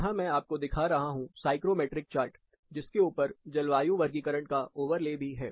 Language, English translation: Hindi, So, what I have shown here is, the psychrometric chart, with a overlay of climatic classification